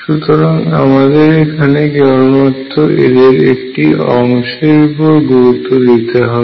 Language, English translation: Bengali, So, I need to focus only on one part here